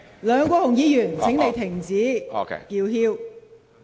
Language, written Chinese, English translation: Cantonese, 梁議員，請你停止叫囂。, Mr LEUNG please stop shouting